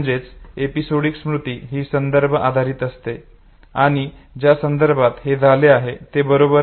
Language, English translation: Marathi, So episodic memory is bound to be context dependent okay, in which context did this happen okay